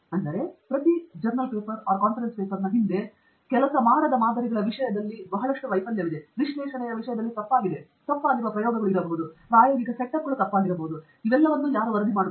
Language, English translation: Kannada, But behind each paper there is a lot of failure in terms of samples that didn’t work, in terms of analysis that was wrong, may be experiments that were wrong, experimental setups that were wrong, all of which is not getting reported